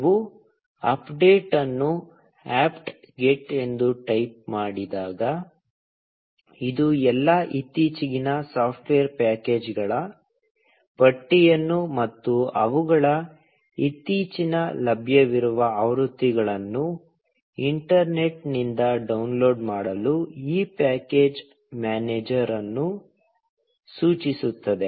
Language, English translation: Kannada, When you type update with apt get, it instructs this package manager to download a list of all the latest software packages, and their latest available versions, from the internet